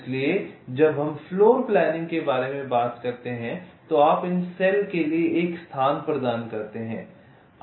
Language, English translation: Hindi, so when we talk about floorplanning you are tentatively assigning a location for this cells